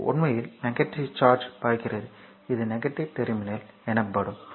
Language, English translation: Tamil, So, this is actually negative charge flowing, this is the negative terminal, this is the positive terminal